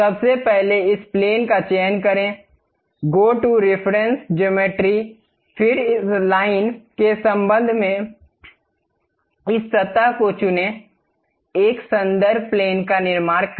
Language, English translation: Hindi, First select this plane, go to reference geometry; then with respect to this line, pick this surface, construct a reference plane